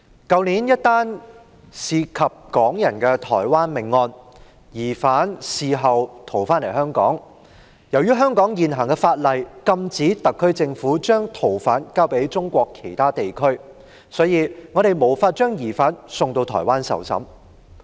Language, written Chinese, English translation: Cantonese, 去年一宗涉及港人的台灣命案，疑犯事後逃回香港，由於香港現行法例禁止特區政府把逃犯交給中國其他地區，因此我們無法把疑犯送往台灣受審。, Last year there was a homicide case in Taiwan involving Hong Kong residents and the suspect later escaped and returned to Hong Kong . As the existing laws of Hong Kong forbid the SAR Government from surrendering fugitive offenders to other parts of China we are thus unable to surrender the suspect to Taiwan for trial